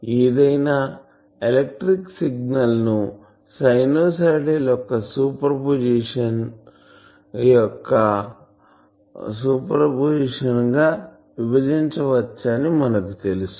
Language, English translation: Telugu, So, we know that any electrical signal can be broken into various a superposition of sinusoid